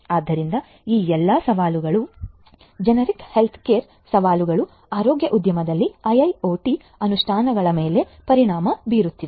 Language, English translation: Kannada, So, all of these challenges the generic healthcare challenges also have implications on the IIoT implementations in the healthcare industry